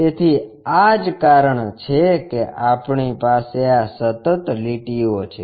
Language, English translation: Gujarati, So, that is the reason we have this continuous lines